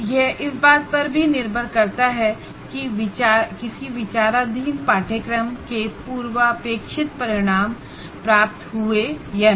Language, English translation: Hindi, It is also dependent on whether prerequisite outcomes of any of the course under consideration are attained or not